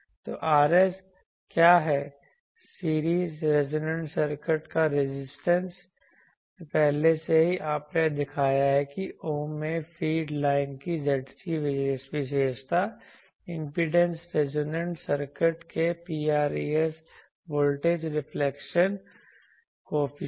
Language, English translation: Hindi, So, Rs is the what is Rs resistance of the series resonant circuit, already you have shown that Zc characteristic impedance of the feed line in ohm, rho Rs voltage reflection coefficient of the resonant circuit